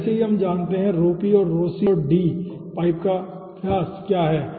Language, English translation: Hindi, already we know what is rhop and rhoc and capital d, the pipe diameter